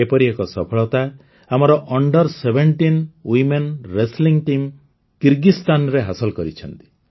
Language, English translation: Odia, One such similar success has been registered by our Under Seventeen Women Wrestling Team in Kyrgyzstan